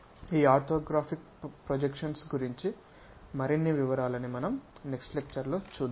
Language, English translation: Telugu, Many more details about this orthographic projections we will see it in the next class